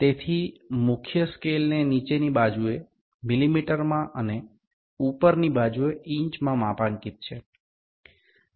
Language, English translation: Bengali, So, the main scale is graduated in millimeters on the lower side and inches on the upper side